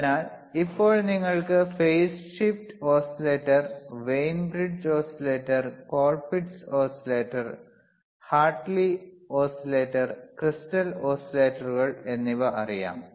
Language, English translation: Malayalam, So, now, you know what are phase shift oscillators,, you know what is Wein bridge oscillator, you know what is cColpitts oscillator, you know what is HHartley oscillator you also know what are the and crystal oscillators right